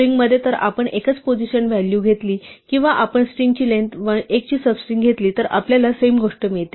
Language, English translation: Marathi, In a string if we take the value at single position or we take a string a sub string of length 1, we get the same thing